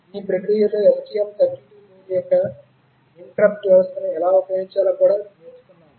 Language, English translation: Telugu, In the process, we also learnt how to use the interrupt system of the STM32 board